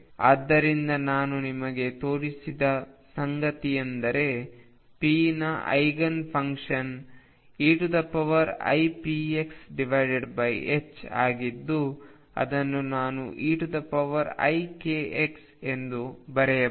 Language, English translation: Kannada, So, what I have shown you is that Eigen function of p is e raise to I p x over h cross Which I can write as e raise to I k x